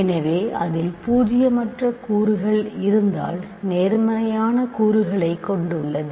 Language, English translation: Tamil, So, if it contains non zero elements